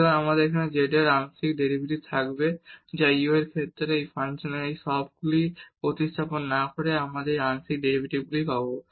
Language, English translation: Bengali, So, we will have here the partial derivative of z with respect to u without substituting all these into this function and then getting this partial derivatives